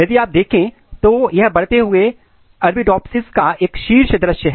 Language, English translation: Hindi, So, if you look here this is a top view of growing Arabidopsis